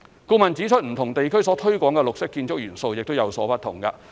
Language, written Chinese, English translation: Cantonese, 顧問指出，不同地區所推廣的綠色建築元素，亦有不同。, The consultant pointed out that green building elements promoted vary in different regions